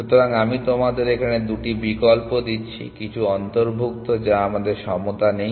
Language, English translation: Bengali, So, I am giving you two options here include some we do not have equality